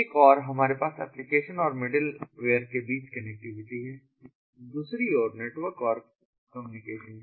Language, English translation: Hindi, so we have connectivity between applications and middle ware for one side and the networks and communication on the other